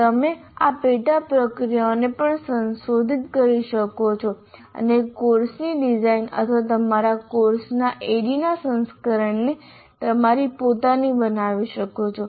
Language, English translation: Gujarati, You can also modify the sub processes and make the design of the course or the addy version of your course your own